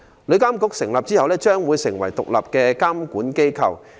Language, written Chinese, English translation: Cantonese, 旅監局成立後，將會成為獨立的監管機構。, TIA will be established as an independent regulatory authority